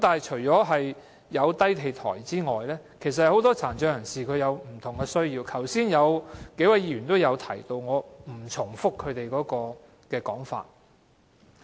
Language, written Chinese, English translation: Cantonese, 除低地台外，很多殘疾人士亦有不同的需要，剛才數位議員也有所提及，我不再重複。, Low - floor buses aside many PWDs also have different needs . Earlier on several Members have mentioned these needs so I will not repeat them